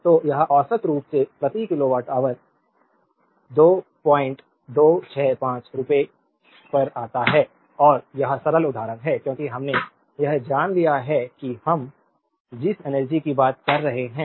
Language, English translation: Hindi, 265 per kilowatt hour and this is simple example, because we have taken know that energy we are talking of